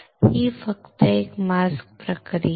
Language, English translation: Marathi, This is just one mask process